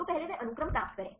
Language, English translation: Hindi, So, first they get the sequence